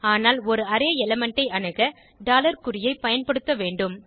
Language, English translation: Tamil, But, to access an array element we need to use $ sign